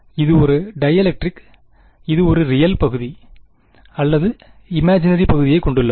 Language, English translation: Tamil, It is a dielectric, it has a real part or imaginary part